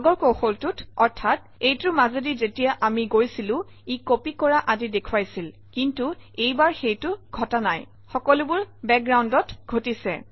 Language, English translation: Assamese, Unlike the previous technique, that is when we went through this, that it showed the copying and so on, now the whole thing happens in the background